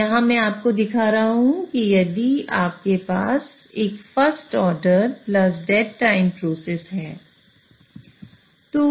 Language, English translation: Hindi, Now let us take an example that you have a first order plus date time process